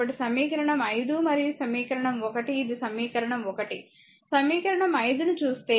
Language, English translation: Telugu, So, equation 5 and equation 1, equation 1 is equal actually equation 1 if you look at the equation 5, right